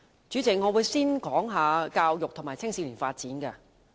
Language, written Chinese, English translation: Cantonese, 主席，我會先談教育和青少年發展。, President I will first talk about education and youth development